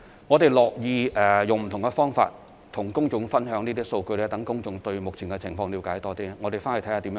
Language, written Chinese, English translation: Cantonese, 我們樂意以不同方法與公眾分享這些數據，讓公眾對目前的情況了解更多。, We are delighted to share the data with the public in various ways so that they can understand the present situation more